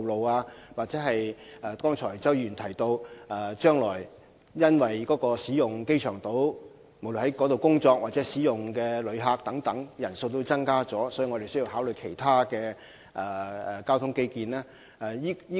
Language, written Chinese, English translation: Cantonese, 又或如周議員剛才指出，鑒於將來在機場島工作和使用機場島的旅客人數將會增加，局方是否應考慮進行其他交通基建項目呢？, And as Mr CHOW said just now given the increase in the number of people working on the Airport Island and that of tourists using the airport should the Bureau consider undertaking other transport infrastructure projects as well?